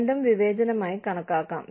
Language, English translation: Malayalam, Both, can be considered as, discrimination